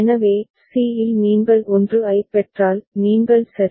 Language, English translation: Tamil, So, at c if you receive a 1 you stay at c ok